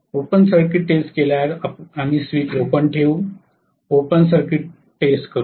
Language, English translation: Marathi, After open circuit test is done, we will keep the switch open, do the open circuit test